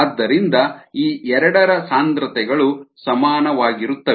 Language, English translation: Kannada, ok, therefore the concentrations of these two would be the same